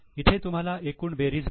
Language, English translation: Marathi, So, here you get total